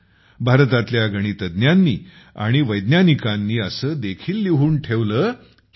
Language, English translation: Marathi, Mathematicians and scholars of India have even written that